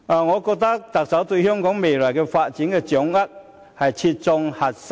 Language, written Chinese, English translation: Cantonese, 我認為，特首對香港未來發展的掌握，切中核心。, In my opinion the Chief Executives vision for the future of Hong Kong has hit the nail on the head